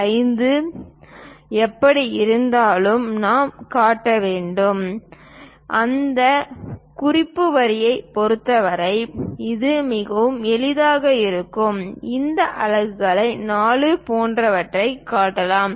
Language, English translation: Tamil, 5 anyway we have to show and it will be quite easy with respect to that reference line, we can show these units like 4